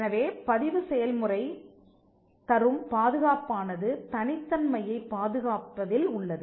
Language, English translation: Tamil, So, the protection that registration brought was the preservation of the uniqueness